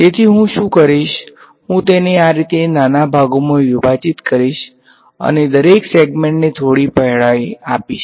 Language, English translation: Gujarati, So, what I will do is I will discretize it like this into little segments and let each segment have some width